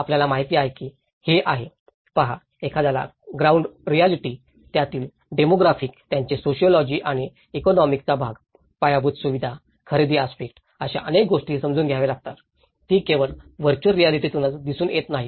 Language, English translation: Marathi, You know this is; see, one has to understand the ground realities, the demographics of it, the sociology of it, the economics part of it, the infrastructural aspect, the procurement aspect so many other things, it is not just only from the virtual reality which one can look at it